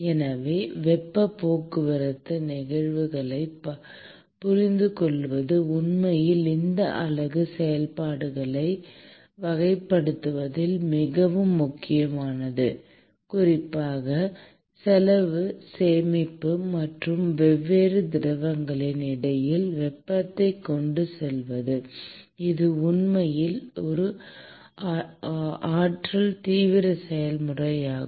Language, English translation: Tamil, So, understanding the heat transport phenomena is actually very important in characterizing these unit operations, and particularly in terms of the saving cost and transporting heat between different fluids, which is actually an energy intensive process